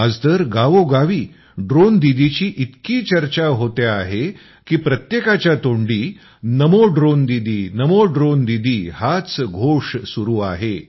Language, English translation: Marathi, Today there is so much discussion about Drone Didi in every village… "Namo Drone Didi, Namo Drone Didi", adorns everyone's lips